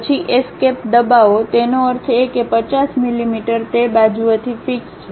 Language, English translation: Gujarati, Then press Escape; that means, 50 millimeters is fixed on that side